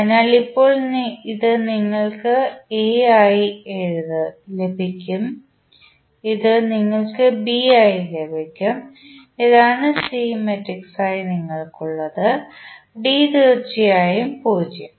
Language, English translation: Malayalam, So, now this you will get as A, this you will get as B and this is what you have as C matrices, D is of course 0